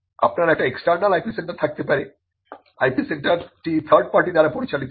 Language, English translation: Bengali, You can have an external IP centre the IP centre is run by a third party